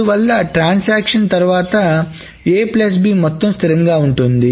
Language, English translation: Telugu, So that is why the sum of A plus B remains constant after the transaction is happening